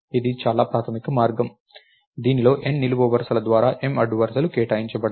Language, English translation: Telugu, basic way in which M rows by N columns is allocated